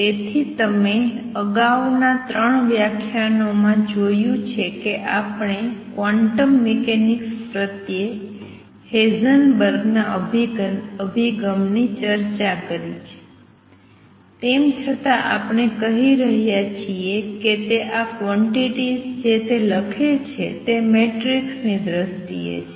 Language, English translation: Gujarati, So, you have seen so far in the previous 3 lectures that we have discussed Heisenberg’s approach to quantum mechanics although we have been saying that what he writes these quantities are in terms of matrices at the time when he did it, he did not know that he was dealing with matrices